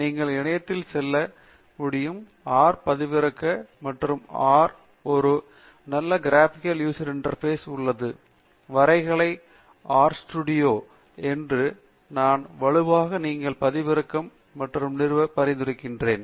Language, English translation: Tamil, You can just go to the website, download R; and for R, there is a very nice graphical user interface GUI called the R studio, and I strongly recommend you download that and install